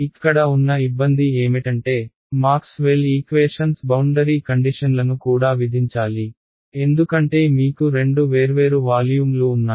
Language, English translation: Telugu, The trouble over here is that Maxwell’s equations have to you also have to impose boundary conditions right, because you have two different volumes right